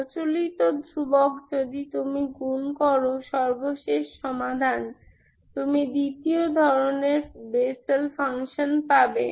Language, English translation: Bengali, Conventional constant if you multiply final solution, what you get is Bessel function of second kind, Ok